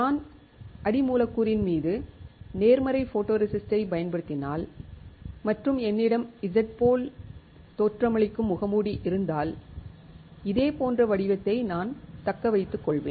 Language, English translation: Tamil, If I use positive photoresist on the substrate and if I have a mask which looks like Z, then I will retain the similar pattern itself